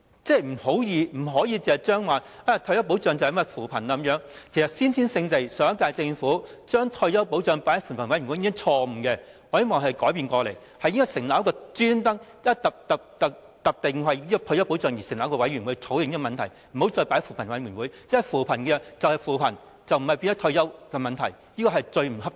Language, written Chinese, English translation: Cantonese, 政府不可以視退休保障等同扶貧，其實上屆政府把退休保障放在扶貧委員會討論，已是先天性的錯誤，我希望可以改變過來，應該特別為退休保障成立委員會作出討論，而不要再放在扶貧委員會，因為扶貧就是扶貧，不應變成退休問題，這是最不恰當的。, In fact that the last - term Government made retirement protection an issue for discussion in CoP is already an inherent error and I hope this error can be corrected . The Government should establish a commission specifically for the discussion on retirement protection . It should not continue to discuss it in CoP because poverty alleviation is poverty alleviation and it should not be turned into a retirement issue which is most inappropriate